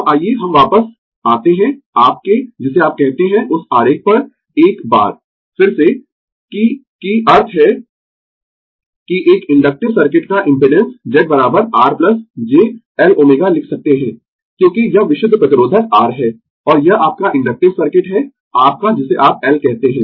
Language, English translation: Hindi, Now, let us come back to your what you call to the diagram once again, that that means that impedance of an inductive circuit Z is equal to we can write R plus j L omega right, because this is this is purely resistive R, and this is your inductive circuit your what you call L